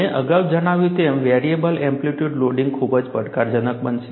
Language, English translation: Gujarati, As I mentioned, variable amplitude loading is going to be very very challenging